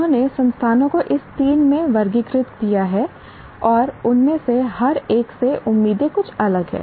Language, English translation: Hindi, They have classified institutions into these three and the expectations from each one of them are somewhat different